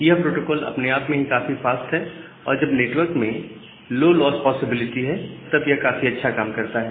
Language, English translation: Hindi, The protocol itself is very fast and it worked nicely when the network has a low loss probability